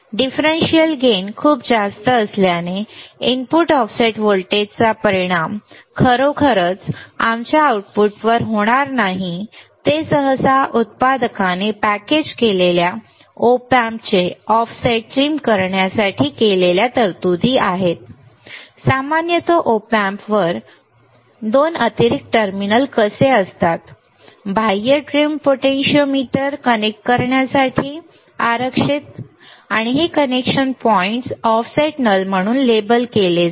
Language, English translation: Marathi, Since the differential gain is very high the effect of the input offset voltage is not really going to affect our output they are usually provisions made by manufacturer to trim the offset of the packaged Op Amp, how usually 2 extra terminals on the Op Amp package are reserved for connecting an external trim potentiometer these connection points are labeled as offset null